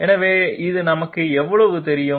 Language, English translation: Tamil, So how much do we know this